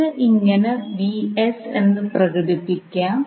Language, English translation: Malayalam, How we will express that